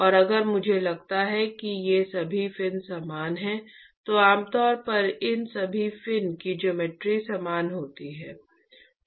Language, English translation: Hindi, And if I assume that all these fins are identical which is typically the case the geometry of all these fins are typically identical